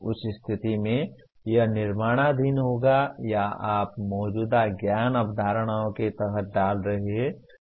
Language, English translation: Hindi, In that case it will come under create or you are putting under the existing known concepts